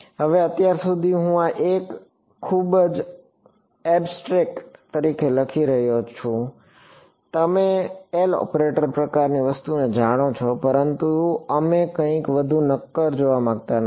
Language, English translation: Gujarati, Now, so far I have been writing this is as a very abstract you know L operator kind of thing, but we will not want to see something more concrete